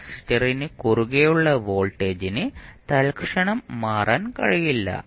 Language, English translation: Malayalam, The voltage across capacitor cannot change instantaneously